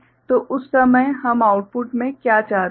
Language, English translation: Hindi, So, at that time what we want at the output